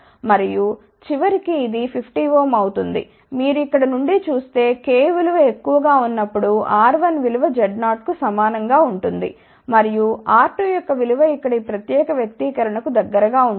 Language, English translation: Telugu, And, ultimately this will become 50 ohm which you can see from here R 1 is equal to Z 0 for large value of k and R 2 is tending towards this particular expression here